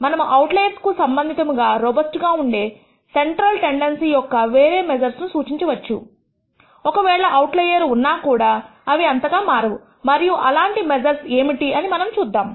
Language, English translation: Telugu, We can de ne other measures of central tendency which are robust with respect to the outliers, even if the outlier exists, it does not change by much and we will see what that such a measure is